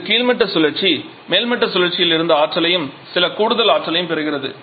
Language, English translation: Tamil, Where the bottoming cycle is receiving energy from the topping cycle plus some additional energy in